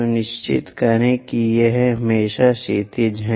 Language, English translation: Hindi, Make sure that this is always be horizontal